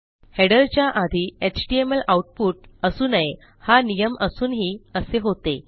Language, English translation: Marathi, Despite the initial rule of no html output before header up here